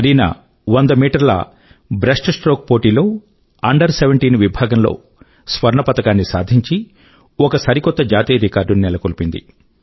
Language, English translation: Telugu, Kareena competed in the 100 metre breaststroke event in swimming, won the gold medal in the Under17 category and also set a new national record